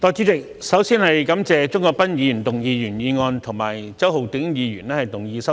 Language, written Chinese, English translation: Cantonese, 代理主席，首先感謝鍾國斌議員動議原議案，以及周浩鼎議員動議修正案。, Deputy President first I thank Mr CHUNG Kwok - pan for proposing the original motion and Mr Holden CHOW for proposing the amendment